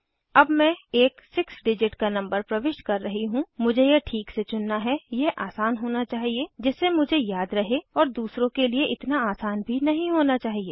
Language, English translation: Hindi, I am entering a 6 digit number now, I have to choose it properly, it should be easy for me to remember and not so easy for others